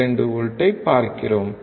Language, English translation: Tamil, We see about 6 volts 6